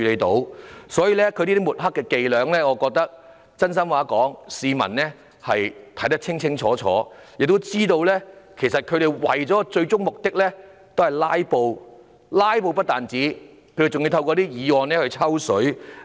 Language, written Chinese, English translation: Cantonese, 所以，說真心話，這些抹黑的伎倆，我覺得市民看得清清楚楚，亦知道他們最終是為了"拉布"——不單是"拉布"，還要透過議案"抽水"。, Therefore in earnest I think people can clearly see through such smearing tricks and are aware that their ultimate intention is to filibuster―not only filibuster but also piggybacking by way of such motions